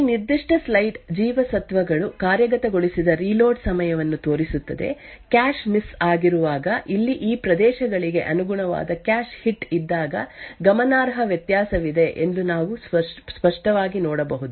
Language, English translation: Kannada, This particular slide show the reload time as the vitamins executing, we can clearly see that there is significant difference when there is a cache hit which is corresponding to these areas over here when there is a cache miss